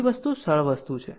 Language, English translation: Gujarati, Another thing is simple thing